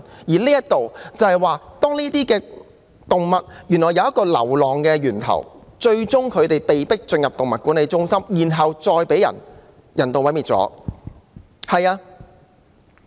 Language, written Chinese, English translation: Cantonese, 這些流浪動物來自一個源頭，牠們最終被送進動物管理中心，然後再被人道毀滅。, These strays come from one source and they end up in animal management centres where they are euthanased